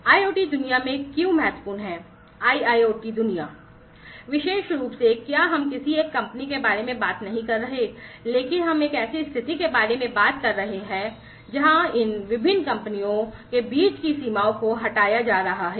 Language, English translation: Hindi, So, what is important in the IoT world; IIoT world, more specifically, is we are talking about not a single company, but we are talking about a situation a scenario, where these different companies, the borders between these different companies are going to be removed